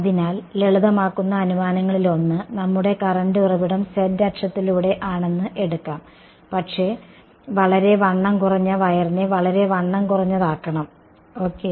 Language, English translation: Malayalam, So, one of the simplifying assumptions will be we’ll take our current source to be let us say along the z axis, but very thin will make the wire to be very thin ok